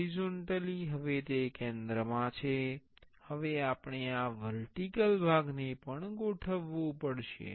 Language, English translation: Gujarati, Horizontally, now it is in the center now we have to align the vertical part also